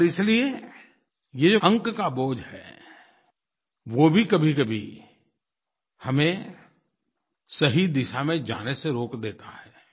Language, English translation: Hindi, And therefore this burden of hankering for marks hinders us sometimes from going in the right direction